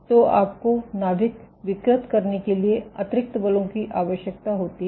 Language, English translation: Hindi, So, huge you require additional forces on the nucleus to deform